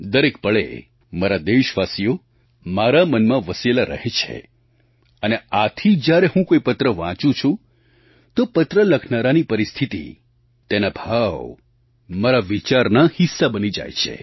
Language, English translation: Gujarati, My countrymen stay in my heart every moment and that is how the writer's situation and ideas expressed in the letter become part of my thought process